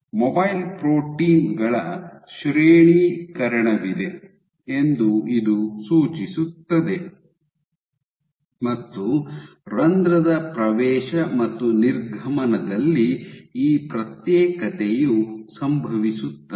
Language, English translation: Kannada, So, there is a gradation of mobile proteins away from protein and this segregation happens at entry and exit of pore at entry to pore and exit of pore